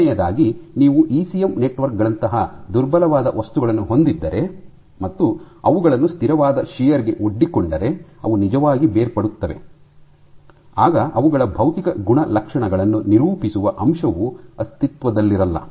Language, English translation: Kannada, Secondly, if you have fragile materials like ECM networks if you expose them to constant shear they will actually fall apart, then the point of actually characterizing their physical properties no more exists